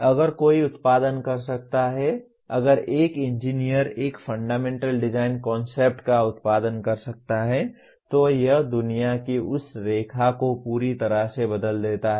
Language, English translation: Hindi, If one can produce, if an engineer can produce a fundamental design concept it just changes that line of world completely